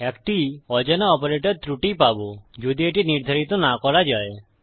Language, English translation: Bengali, An unknown operator error will be given if it cant be determined